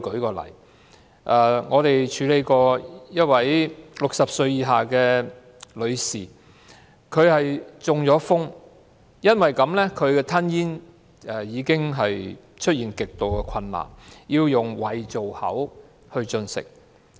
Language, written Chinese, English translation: Cantonese, 舉例而言，我們曾經處理一位60歲以下女士的個案，她中風後吞咽極度困難，需要使用胃造口進食。, For example we once handled a case in which a woman under 60 years of age had extreme difficulties in swallowing after a stroke